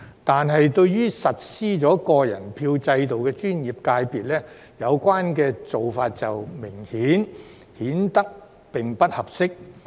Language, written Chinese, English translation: Cantonese, 但對於實施個人票制度的專業界別，有關做法明顯不合適。, However for professional FC elections adopting the individual votes system this arrangement is obviously inappropriate